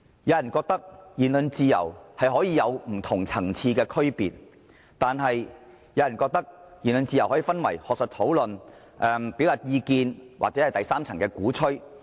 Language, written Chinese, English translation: Cantonese, 有人認為言論自由可以有不同層次的區別，又有人認為言論自由可以分為學術討論、表達意見或第三層的鼓吹。, Some people believe there are different levels of freedom of speech . Some think that the freedom of speech can be classified into academic discussion expression of opinion and the third level advocacy